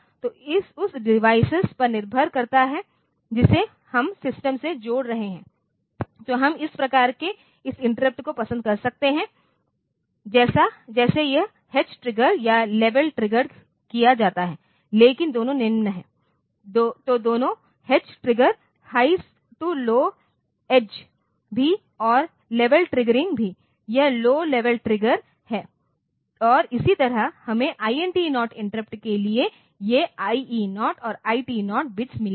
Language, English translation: Hindi, So, depending upon the device that we are connecting to this to the system so, we may like to have this interrupts of type this H triggered or level triggered, but both are low, both so, H triggering also high to low edge and this level triggering is also this low level triggered and similarly we have got these IE0 and IT0 bits for the INT 0 interrupt